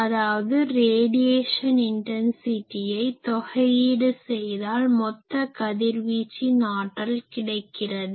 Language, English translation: Tamil, So, radiation intensity integrated so, total radiated power is this